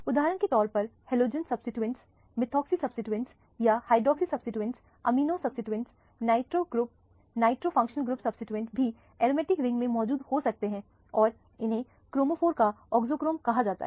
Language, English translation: Hindi, For example, halogen substitution, methoxy substitution or hydroxy substitution, amino substitution, nitro functional group substitution can be present in aromatic ring and these are all called auxochromes of the chromophore